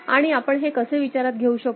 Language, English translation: Marathi, And how you can consider